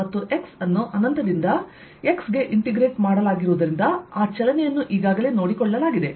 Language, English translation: Kannada, i am integrating over x and since x is integrated from infinity to x, that movement in is already taken care of